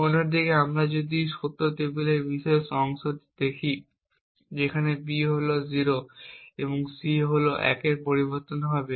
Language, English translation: Bengali, On the other hand if we look at this particular part of the truth table, where B is 0 and C is 1 the change in A has no effect on the output